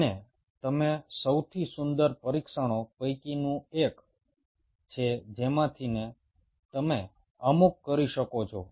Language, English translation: Gujarati, and one of the most beautiful test you can do is there a couple of tests you can do